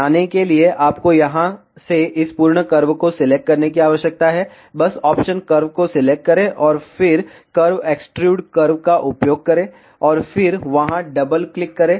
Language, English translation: Hindi, To make the polygon, you need to select this full curve from here, just select the option curve, and then use curve extrude curve ok, and then double click there ok